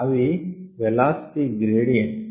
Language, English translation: Telugu, it causes velocity gradients